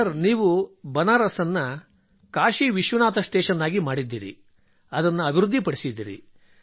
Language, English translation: Kannada, Sir, you have made Banaras Kashi Vishwanath Station, developed it